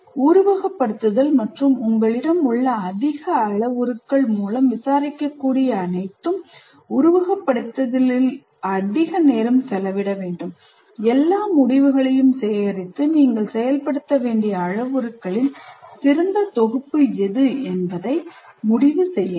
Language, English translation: Tamil, And the more number of parameters that you have, the more time you have to spend in simulation and collect all the results and interpret which is the best set of parameters that you need to implement